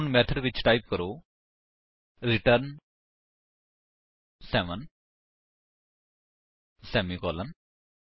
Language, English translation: Punjabi, Now, inside the method, type return seven semicolon